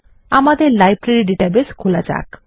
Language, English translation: Bengali, Lets open our Library database